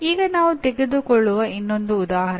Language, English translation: Kannada, Now another one example that we pick up